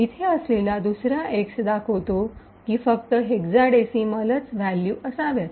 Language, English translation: Marathi, The second x over here specifies that the display should be in hexa decimal values